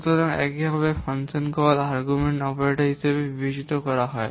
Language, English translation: Bengali, So similarly, the arguments of the function call are considered as operands